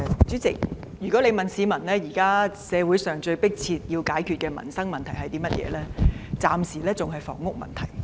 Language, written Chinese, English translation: Cantonese, 主席，若問市民現時社會上最迫切需要解決的民生問題是甚麼，暫時仍是房屋問題。, President if people are asked what livelihood issue is the most pressing now in our society I think they will still regard the housing problem as a matter of their utmost concern for the time being